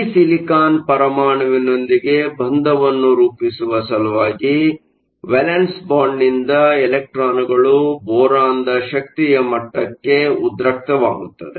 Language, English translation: Kannada, In order to form the bond with this silicon atom, an electron from the valence band is excited to the boron level